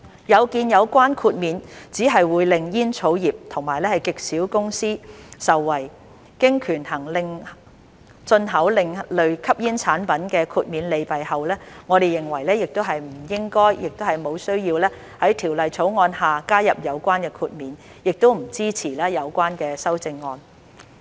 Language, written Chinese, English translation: Cantonese, 有見有關豁免只會令煙草業及極少數公司受惠，經權衡進口另類吸煙產品豁免的利弊後，我們認為不應該，亦無需要在《條例草案》下加入有關豁免，亦不支持有關修正案。, As this exemption will only benefit the tobacco industry and a very small number of companies after weighing the pros and cons of granting an exemption for importing ASPs we consider it neither appropriate nor necessary for this exemption to be included in the Bill and we do not support the amendments